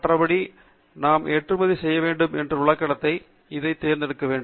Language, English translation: Tamil, And the step two is to select what is a content that we want to export